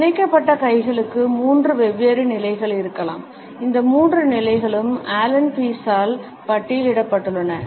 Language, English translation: Tamil, The clenched hands may have three different positions these three positions have been listed by Allen Pease